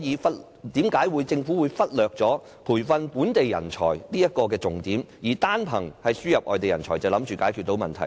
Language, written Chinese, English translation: Cantonese, 為何政府會忽略培訓本地人才的重點，以為單憑輸入人才便可解決問題？, Why does the Government ignore the importance of training up local talents and think that talents importation is already a good solution?